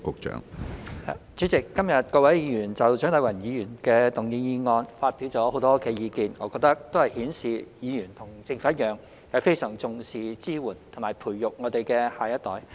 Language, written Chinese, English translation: Cantonese, 主席，今天各位議員就蔣麗芸議員動議的議案發表了很多意見，我覺得均顯示議員與政府一樣，非常重視支援及培育我們的下一代。, President today Members have expressed many views on the motion proposed by Dr CHIANG Lai - wan . I think this shows that like the Government Members have attached great importance to the support and nurturing of our next generation